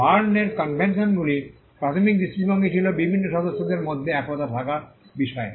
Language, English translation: Bengali, The Berne conventions primary focus was on having uniformity amongst the different members